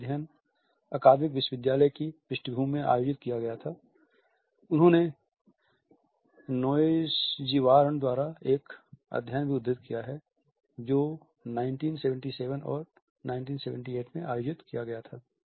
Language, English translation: Hindi, This study was conducted in academic university background; he has also quoted a study by Noesjirwan which was conducted in 1977 and 1978